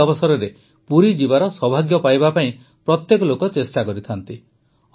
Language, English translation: Odia, People make efforts to ensure that on this occasion they get the good fortune of going to Puri